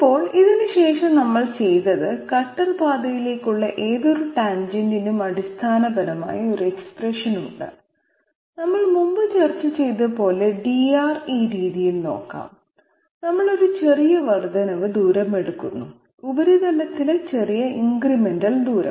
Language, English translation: Malayalam, Now, what we have done after this is that any tangent okay any tangent to the cutter path is basically having expression as we have discussed previously sorry let me just look at it this way dR, we are taking a small incremental distance on the surface, small incremental distance on the surface how can we express this